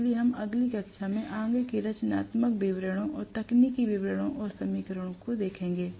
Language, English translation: Hindi, So, we look at the further constructional details and technical details and equations in the next class